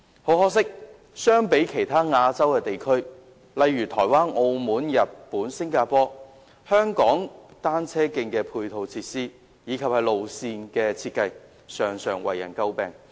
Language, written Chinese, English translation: Cantonese, 很可惜，相比其他亞洲地區，例如台灣、澳門、日本及新加坡，香港單車徑的配套設施及路線的設計，常常為人詬病。, Much to our regret compared with other places in Asia such as Taiwan Macao Japan and Singapore the ancillary facilities and route design of cycle tracks in Hong Kong have always been a cause for criticism